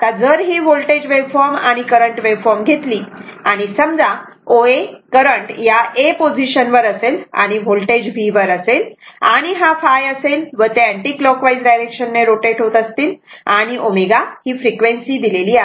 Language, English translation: Marathi, Now if you take the voltage wave from I mean and current waveform suppose current when current posi[tion] your O A current position was at A and voltage at V and this phi and they are moving your at your what you call in anticlockwise direction, and omega is given that your what you call that as frequency, right